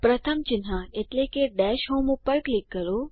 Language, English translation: Gujarati, Click on the first icon (i.e.)the Dash home